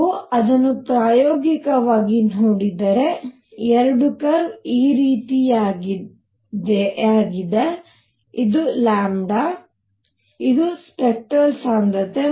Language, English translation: Kannada, If you see it experimentally, the two curve is something like this, this is lambda, this is spectral density